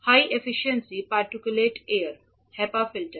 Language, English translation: Hindi, High Efficiency Particulate Air, HEPA filter